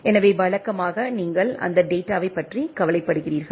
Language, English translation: Tamil, So, usually you are overwhelming with that data